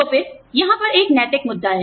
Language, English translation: Hindi, So again, there is an ethical issue, regarding this